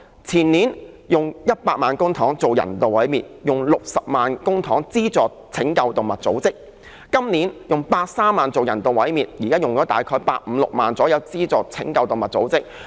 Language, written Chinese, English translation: Cantonese, 前年用了100萬元公帑進行人道毀滅，用了60萬元公帑資助拯救動物組織；今年用130萬元進行人道毀滅，現時用了大約160萬元資助拯救動物組織。, It used 1 million public money on animal euthanasia in the year before last and 600,000 on funding animal rescue organizations; and this year it will use 1.3 million on euthanasia and about 1.6 million on funding animal rescue organizations